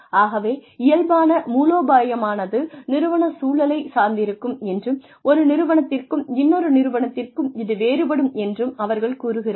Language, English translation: Tamil, So, they say that, the nature of strategy, depends on the organizational context, and can vary from organization to organization